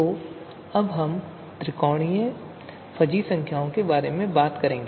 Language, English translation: Hindi, So now let us talk about triangular fuzzy numbers